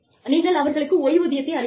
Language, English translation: Tamil, You could give them, a pension